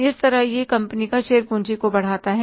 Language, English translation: Hindi, So that way it appreciates the share capital of the company